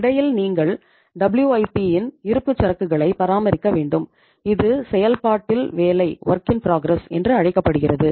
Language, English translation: Tamil, And in between you have to keep the inventory of WIP which is called as work in process